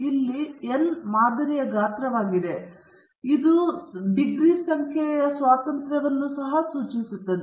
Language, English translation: Kannada, Here, n is the sample size, and it also denotes the number of degrees of freedom